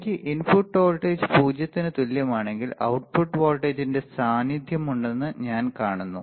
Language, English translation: Malayalam, That when I have input voltage is equal to 0 equal to 0, I see that there is a presence of output voltage there is a presence of output voltage